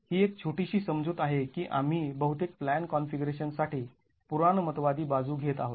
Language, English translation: Marathi, So, that is one little assumption that we make on the conservative side for most planned configurations